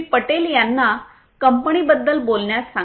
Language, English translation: Marathi, Patel about the company to speak about the company